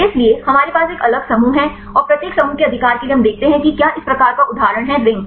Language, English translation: Hindi, So, we have a different groups and for each group right we see whether this type of for example, ring